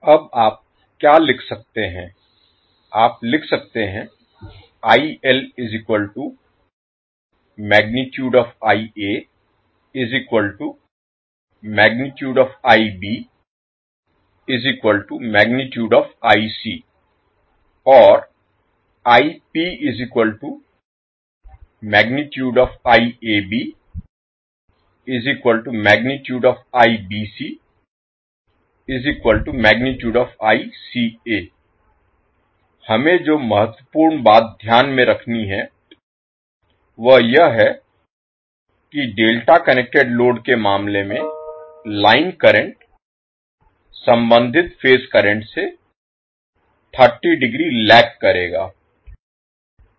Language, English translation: Hindi, The important thing which we have to keep in mind is that the line current in case of delta connected load will lag the corresponding phase current by 30 degree